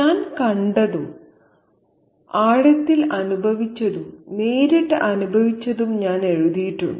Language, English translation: Malayalam, I've written what I have seen, deeply felt and directly experienced